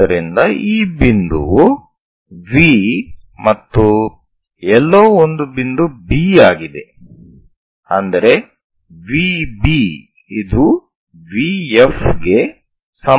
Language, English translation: Kannada, So this point is V somewhere point B, such that V B is equal to V F